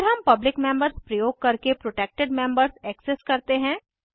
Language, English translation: Hindi, Then we access the protected members using the public members